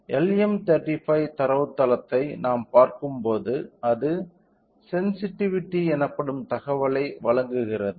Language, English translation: Tamil, So, when we look into the data sheet of LM35 it provides the information of called sensitivity